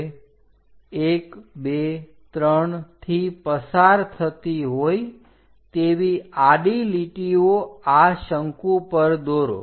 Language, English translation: Gujarati, Now draw horizontal lines passing through 1, 2, 3 on this cone